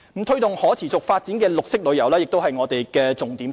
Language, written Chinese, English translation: Cantonese, 推動可持續發展的綠色旅遊亦是我們的重點之一。, To promote the sustainable development of green tourism is also one of our highlights